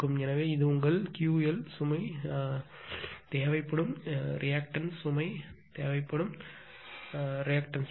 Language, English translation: Tamil, So, this is your Q l this much of the reactive load reactive power required in the load